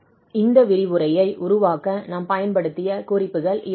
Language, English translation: Tamil, Well, so these are the references we have used for preparing this lecture